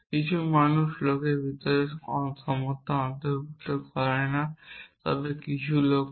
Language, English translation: Bengali, Some people do not include equality inside the language, but some people do